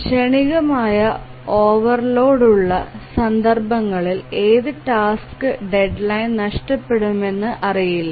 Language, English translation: Malayalam, In those cases of transient overload, it is not known which task will miss the deadline